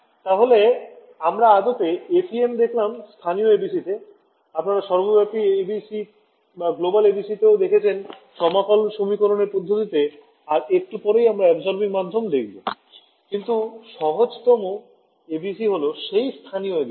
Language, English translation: Bengali, So, we have actually seen local ABCs in FEM, you have seen global ABCs in integral equation methods and we will look at absorbing media little bit later, but the simplest ABC to implement is; obviously, local ABC this guy